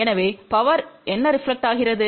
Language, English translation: Tamil, So, what is power reflected